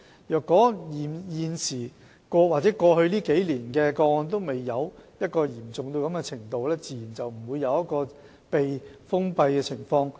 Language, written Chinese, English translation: Cantonese, 如果過去數年的個案的情況未達到嚴重的程度，自然不會出現處所被封閉的情況。, If the circumstances in the cases in the past few years were not serious certainly there would not be any closure of premises